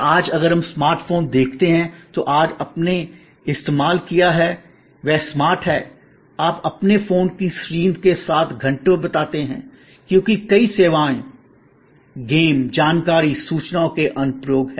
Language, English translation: Hindi, And today if you see most smart phone that you used they are smart, you like and you spend hours with the screen of your phone, because of the many services, games, information, infotainment applications